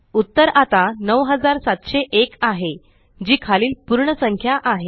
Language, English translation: Marathi, The result is now 9701 which is the lower whole number